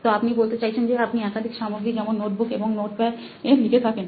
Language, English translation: Bengali, So you are saying you write in multiple materials like notebook and notepad